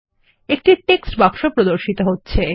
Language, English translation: Bengali, Observe that a text box appears